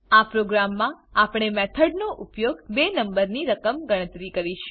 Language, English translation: Gujarati, In this program we will calculate the sum of two numbers using method